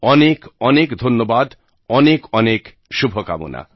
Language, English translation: Bengali, Many many thanks, many many good wishes